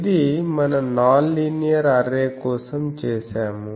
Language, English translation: Telugu, So, the same that we have done for linear array